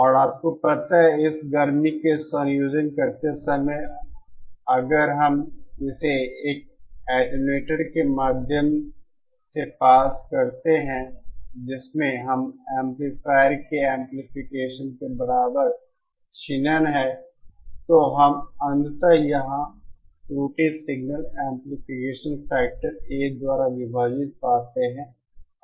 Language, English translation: Hindi, And if that is also you know while combining in this summer, if we pass it through an attenuator having an attenuation equal to the amplification of this amplifier, then what we ultimately get here is the error signal divided by the amplification factor A